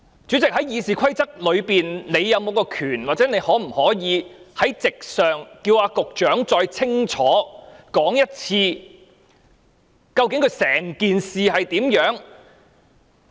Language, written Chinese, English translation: Cantonese, 主席，《議事規則》是否賦予你權力，或你可否在席上要求局長再清楚說一次，究竟整件事是怎樣的？, President have the RoP empowered you or is it possible for you to ask the Secretary to say clearly once again what the whole matter is about?